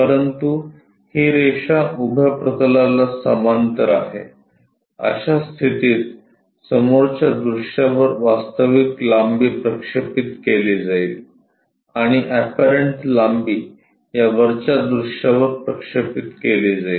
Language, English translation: Marathi, But, this line is parallel to vertical plane in that case the true length projected onto front view, and apparent length will be projected onto this top view